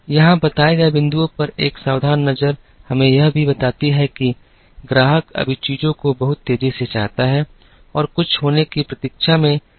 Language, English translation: Hindi, A careful look at the points that have been described here also tells us that, the customer right now wants things very fast and has become more and more impatient to waiting for something to happen